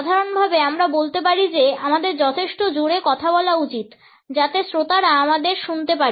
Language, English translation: Bengali, In general, we can say that we should be loud enough so that the audience can hear us